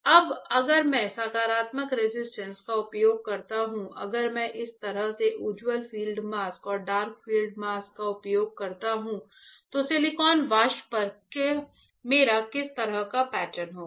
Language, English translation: Hindi, Now if I use positive resist and if I use bright field mask and dark field mask like this, then what kind of pattern I will have on silicon vapor